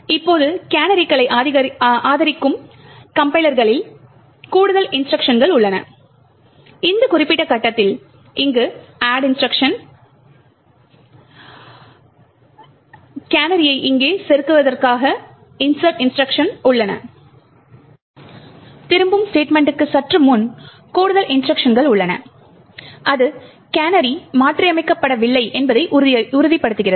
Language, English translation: Tamil, Now in compliers which supports canaries additional instructions are present at this particular point where instructions are present to add, insert a canary over here and just before the return statement more instructions are present So, that So, as to ensure that the canary has not been modified